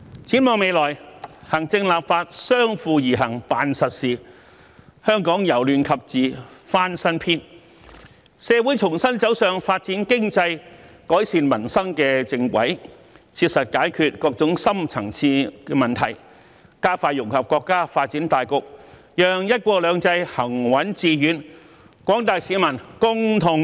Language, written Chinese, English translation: Cantonese, 展望未來，行政立法相輔而行辦實事，香港由亂及治翻新篇，社會重新走上發展經濟、改善民生的正軌，切實解決各種深層次問題，加快融入國家發展大局，讓"一國兩制"行穩致遠，廣大市民共同受惠。, Looking ahead with the executive authorities and the legislature do practical things hand in hand Hong Kong will turn a new page from chaos to order . By going back on the right track of developing the economy and improving peoples livelihood Hong Kong will strive to solve various deep - seated problems pragmatically and integrate into the overall development of the country expeditiously thereby ensuring the steadfast and successful implementation of one country two systems and the sharing of benefits among the general public